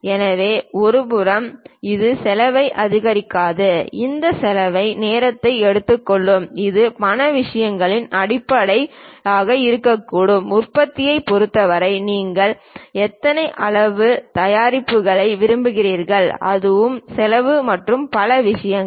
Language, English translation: Tamil, So, that on one side it would not increase the cost this cost can be time consuming it can be in terms of monetary things, in terms of production how much how many quantities you would like to ah prepare it that also cost and many things